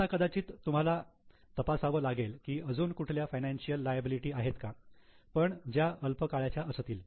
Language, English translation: Marathi, Now perhaps you have to check whether there are any other financial liabilities but which are short term